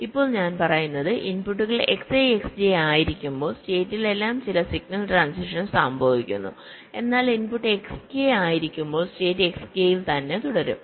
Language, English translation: Malayalam, now what i am saying is that when the inputs are x i and x j, then some signal transition across states are happening, but when the input is x k, the state remains in s k